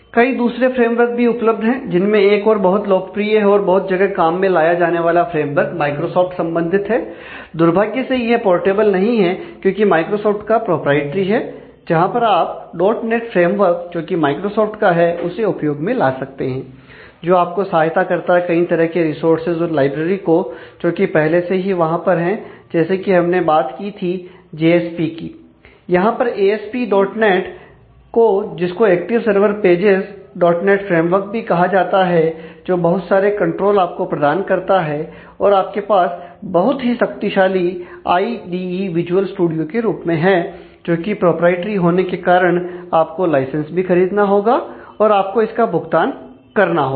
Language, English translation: Hindi, There are different other frameworks as well, another very popular and widely used framework is Microsoft specific, this is unfortunately not portable because, it is proprietary of Microsoft where, you can use the the [dot] net framework of Microsoft, which helps you with lot of an a resources and libraries which are already provided, and like we talked about JSP, we can use ASP[ dot] net here active server page in the[ dot] net framework, which provides a whole lot of controls and you have a very nice powerful id in terms of visual studio, high were being proprietary these need licenses and you need to pay for that